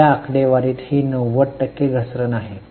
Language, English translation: Marathi, It's a 90% fall in that figure